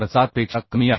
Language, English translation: Marathi, 147 so this is becoming 0